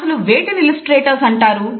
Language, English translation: Telugu, What exactly are illustrators